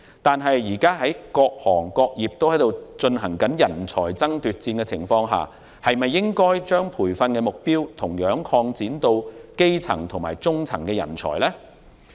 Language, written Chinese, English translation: Cantonese, 然而，現時各行各業均出現人才爭奪戰，金管局是否應把培訓對象擴展至基層及中層人才呢？, However given that all businesses are competing for talents should HKMA not extend the target groups to basic rank employees and middle - level talents?